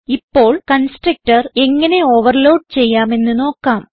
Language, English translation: Malayalam, Let us now see how to overload constructor